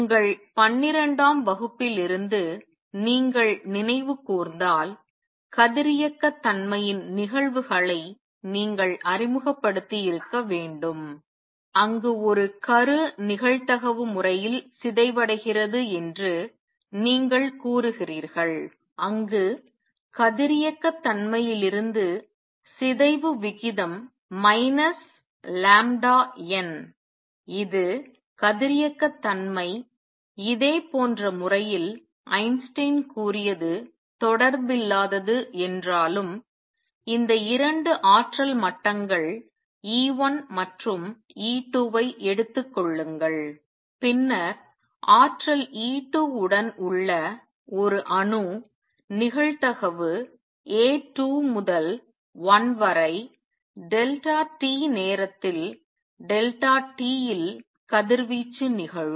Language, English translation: Tamil, If you recall from your 12th grade you must have been introduced to the phenomena of radioactivity where we say that a nucleus decays in a probabilistic manner where you see that rate of decay is minus lambda N this is from radioactivity, radioactivity in a similar manner although unrelated what Einstein said is take these 2 energy levels E 1 and E 2 then an atom with energy E 2 will radiate with probability A 2 to 1 delta t in time delta t